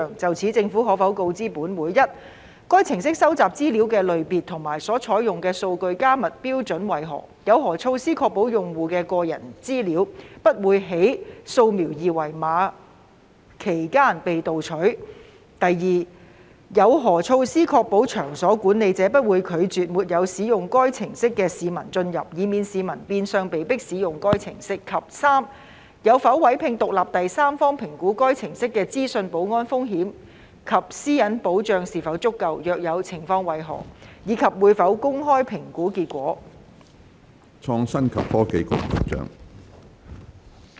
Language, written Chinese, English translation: Cantonese, 就此，政府可否告知本會：一該程式收集資料的類別和所採用的數據加密標準為何；有何措施確保用戶的個人資料，不會在掃描二維碼期間被竊取；二有何措施確保場所管理者不會拒絕沒有使用該程式的市民進入，以免市民變相被迫使用該程式；及三有否委聘獨立第三方評估該程式的資訊保安風險及私隱保障是否足夠；若有，詳情為何，以及會否公開評估結果？, In this connection will the Government inform this Council 1 of the types of information collected and the data encryption standard adopted by the app; the measures in place to ensure that users personal data will not be stolen during the scanning of the QR codes; 2 of the measures in place to ensure that the management of the venues concerned will not refuse the entry of those members of the public who do not use the app so as to avoid members of the public being forced to use the app in effect; and 3 whether it has engaged an independent third party to assess the information security risk of the app and if its privacy protection is adequate; if so of the details and whether the assessment outcome will be made public?